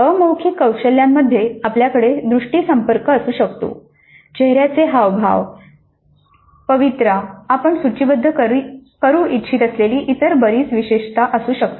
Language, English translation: Marathi, So, in non verbal skills we could have eye contact, facial expressions, posture, there could be several other attributes that you wish to list